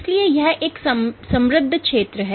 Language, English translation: Hindi, So, it is a very rich field